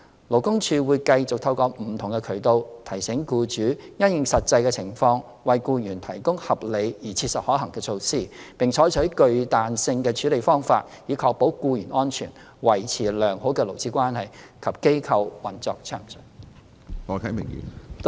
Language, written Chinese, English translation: Cantonese, 勞工處會繼續透過不同渠道，提醒僱主因應實際的情況為僱員提供合理而切實可行的措施，並採納具彈性的處理方法，以確保僱員安全、維持良好的勞資關係及機構運作順暢。, LD will continue to promulgate through various channels to remind employers to provide reasonable and practicable means having regard to the actual conditions and adopt a flexible approach so as to ensure the safety of employees maintenance of good labour - management relations as well as the smooth operation of the organizations